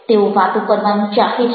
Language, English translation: Gujarati, they enjoy talking